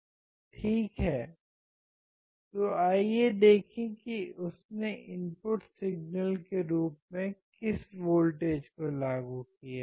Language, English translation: Hindi, Ok, so let us see what voltage has he applied as an input signal